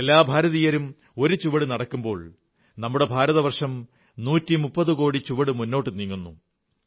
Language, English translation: Malayalam, When every Indian takes a step forward, it results in India going ahead by a 130 crore steps